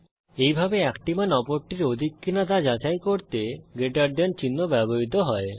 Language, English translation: Bengali, This way, the greater than symbol is used to check if one value is greater than the other